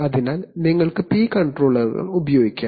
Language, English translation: Malayalam, So therefore, you can use P controllers